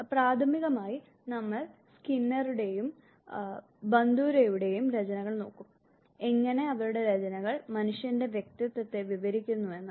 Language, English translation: Malayalam, Primarily we would look at the work of Skinner and Bandura, how they are work describes the personality of a human beings